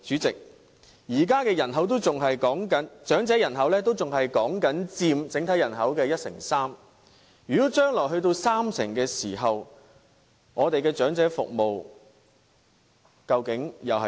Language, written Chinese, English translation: Cantonese, 代理主席，現時長者人口仍然只佔整體人口的一成三，如果將來佔三成，我們的長者服務會變成怎樣呢？, Deputy President concerning the fact that elderly population accounts for 13 % of overall population at present what will elderly care service become when the proportion rises to 30 % in future?